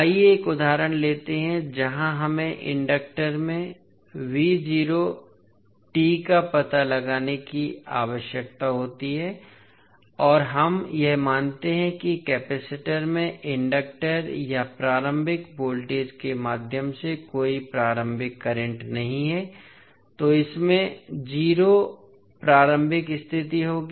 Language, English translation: Hindi, Let us take one example where we need to find out v naught at any time T across the inductor and we assume that there is no initial current through the inductor or initial voltage across the capacitor, so it will have the 0 initial condition